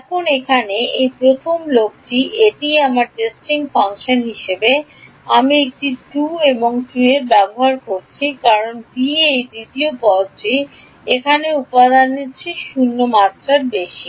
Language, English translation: Bengali, Now this the first guy over here this is what I was using as my testing function over a because b this second term over here is 0 over element a